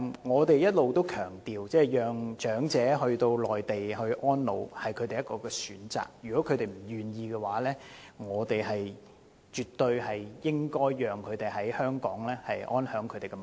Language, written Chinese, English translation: Cantonese, 我們一直也強調，讓長者返回內地安老是其中一種選擇，如果他們不願意，我們絕對應該讓他們在港安享晚年。, In fact we have been emphasizing that letting the elderly people spend their twilight years on the Mainland is one of the available options . If they are not willing to do so we definitely have to let them stay and age in Hong Kong